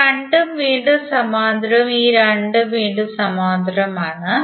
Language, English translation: Malayalam, These 2 are again in parallel and these 2 are again in parallel